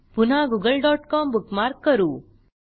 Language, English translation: Marathi, Lets bookmark Google.com again